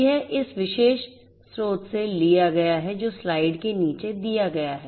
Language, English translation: Hindi, This has been taken from this particular source that is given at the bottom of the slide